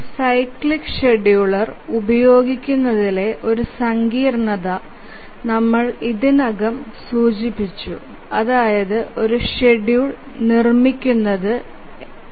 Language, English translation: Malayalam, We have already mentioned that one complication in using a cyclic scheduler is constructing a schedule